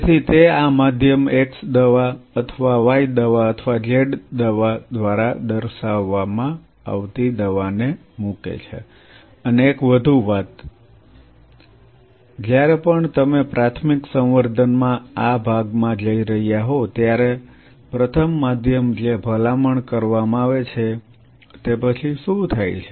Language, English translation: Gujarati, So, it puts the drug which is say represented by x drug or y drug or z drug into this medium and one more thing whenever you are going this part in primary culture the first medium change what they are recommended is what happens after